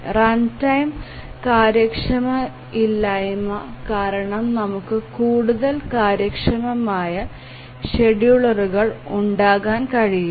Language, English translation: Malayalam, Run time inefficiency, it is a bad we can have more efficient schedulers